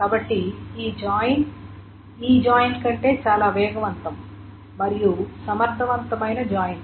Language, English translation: Telugu, So this join is a much faster join, much more efficient join than this joint